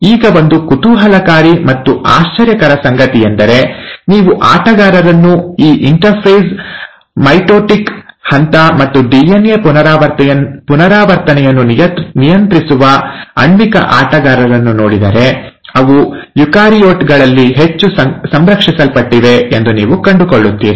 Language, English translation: Kannada, Now, one thing which is intriguing and surprising rather, is that if you were to look at the players, the molecular players which govern this interphase, mitotic phase and DNA replication, you find that they are highly conserved in eukaryotes